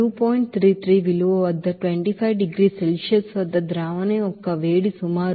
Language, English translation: Telugu, 33 value that heat of solution at 25 degrees Celsius is around 44